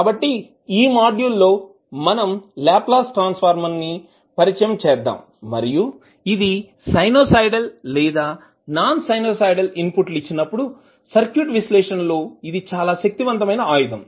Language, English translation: Telugu, So in this module we will be introduced with the Laplace transform and this is very powerful tool for analyzing the circuit with sinusoidal or maybe the non sinusoidal inputs